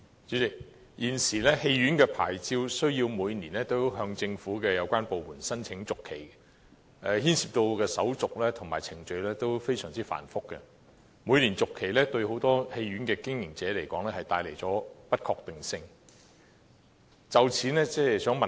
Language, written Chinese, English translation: Cantonese, 主席，關於電影院牌照，現時每年均須向政府有關部門申請續期，所涉的手續和程序均非常繁複，很多電影院經營者也認為，每年續期帶有不確定性。, President with regard to cinema licences application for renewal has to be made to the relevant government department each year . The formalities and procedures involved are very complicated and many cinema operators also believe that annual renewal involves uncertainty